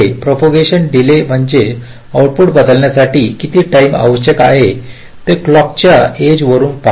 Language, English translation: Marathi, propagation delays means staring from the clock edge: how much time is required for the output to change